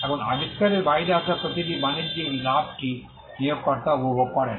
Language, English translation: Bengali, Now, every commercial gain that comes out of the invention is enjoyed by the employer